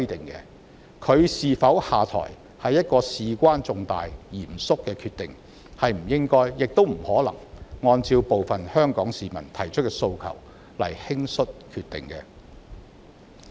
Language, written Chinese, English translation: Cantonese, 現任行政長官是否下台是事關重大及嚴肅的決定，不應亦不可能按照部分香港市民提出的訴求輕率決定。, Whether the incumbent Chief Executive should step down is an important matter and involves a serious decision which should not and cannot be hastily decided based on the demands of some people of Hong Kong